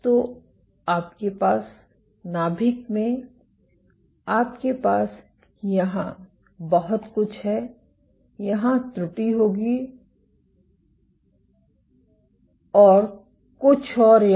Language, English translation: Hindi, So, you have in the nucleus you have a lot here, miscue will here, and somewhat more here ok